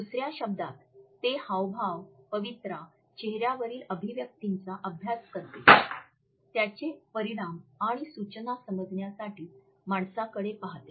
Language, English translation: Marathi, In other words, it studies gestures, postures, facial expressions and also looks at the human gate to understand its implications and suggestions